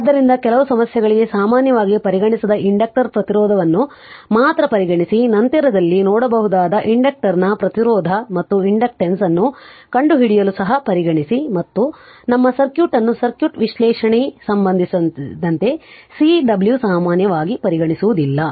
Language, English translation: Kannada, So, we only consider inductor resistance we generally not consider for some problem we also consider to find out the resistance and inductance of the inductor that we will see later and Cw generally we do not consider for our as far as our circuit is considered circuit analysis is concerned